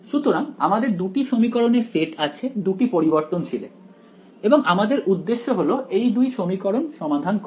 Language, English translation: Bengali, So, I have 2 sets of equations in 2 variables and the goal is to solve these 2 equations